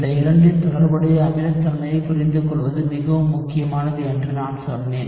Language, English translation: Tamil, So, I told you understanding the related acidities of both of these is very important